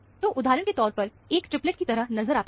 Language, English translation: Hindi, So, it appears as a triplet, for example